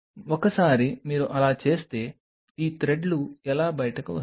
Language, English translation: Telugu, Once you do like that that is how these threads are going to come out